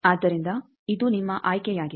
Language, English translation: Kannada, Now, this is your choice